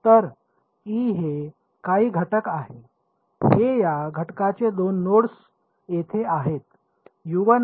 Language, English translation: Marathi, So, this is some element e, these are the two nodes of this element over here ok